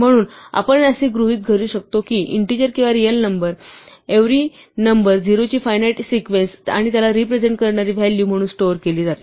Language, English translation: Marathi, So, we can assume that every number whether an integer or real number is stored as a finite sequence of zeroes and ones which represents its value